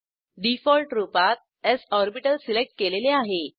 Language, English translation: Marathi, By default, s orbital is selected